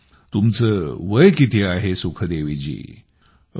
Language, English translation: Marathi, how old are you Sukhdevi ji